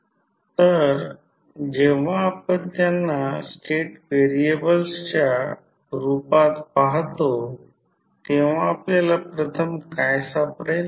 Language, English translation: Marathi, So, when we see them as a state variable, what we can first find